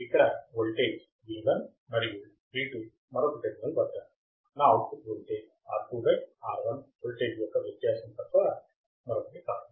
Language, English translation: Telugu, Voltage v1 and here, v2 at the another terminal, my output voltage would be nothing but the difference of the voltage into R2 by R1